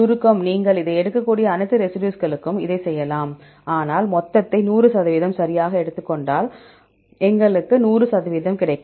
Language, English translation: Tamil, Summation you can take do it for all the residues, but if you take the total that will be 100 percentage right, if you take the total we will get the 100 percentage